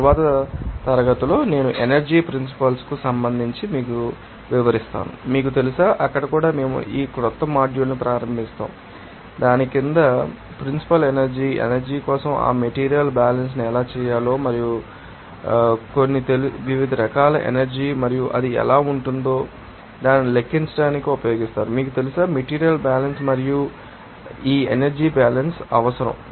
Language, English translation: Telugu, In the next class I will, you know, describe, you know, regarding the principles of energy and also we will start that new module there and under that, you know, principles energy, how to do that material balance for energy and also some, you know, that different forms of energy and how it can be, you know, used to calculate that, you know, material balance and or that, you know, this energy balance will be required